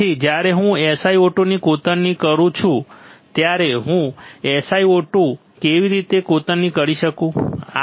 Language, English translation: Gujarati, So, when I etch SiO 2 how can I etch SiO 2